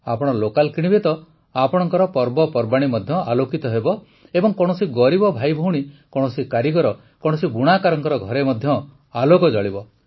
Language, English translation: Odia, If you buy local, then your festival will also be illuminated and the house of a poor brother or sister, an artisan, or a weaver will also be lit up